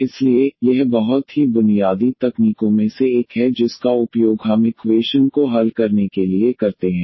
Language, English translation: Hindi, So, this is one of the very basic techniques which we use for solving differential equations